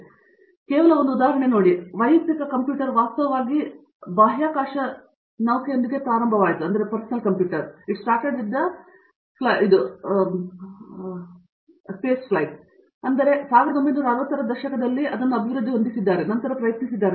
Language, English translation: Kannada, So, just to give as an aside as an example: For example, the personal computer actually started with the space shuttle, so that was in the 1960's that they were trying to develop and then